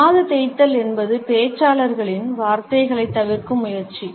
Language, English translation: Tamil, The ear rub is an attempt to avoid the words of the speaker